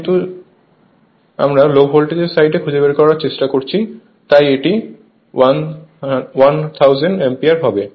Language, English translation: Bengali, But , we are trying to find out at the low voltage side so, it is 1000 ampere right